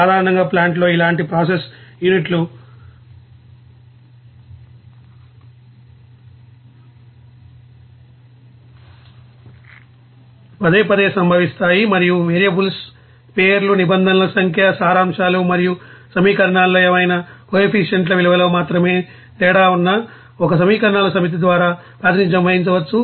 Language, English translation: Telugu, In general, similar process units repeatedly occur in a plant and can be represented by the same set of equations which differ only in the names of variables, the number of terms, in the summations and the values of any coefficients in the equations